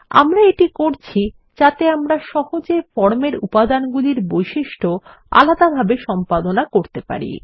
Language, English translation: Bengali, We are doing this so that we can edit the properties of individual elements on the form easily